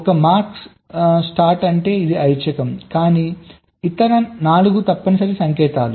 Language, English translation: Telugu, the one marks star means this is optional, but other four an mandatory signals